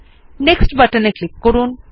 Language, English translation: Bengali, Click on Next button